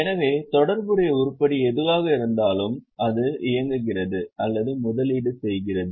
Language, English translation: Tamil, So, whatever is a relevant item, normally it is either operating or investing